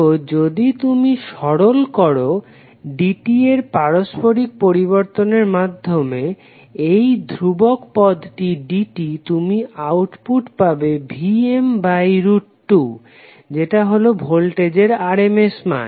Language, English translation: Bengali, So if you simplify just by integrating dt this particular constant term with dt you will get the output as Vm by root 2